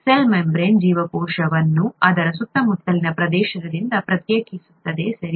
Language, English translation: Kannada, Only the cell membrane distinguishes the cell from its surroundings, right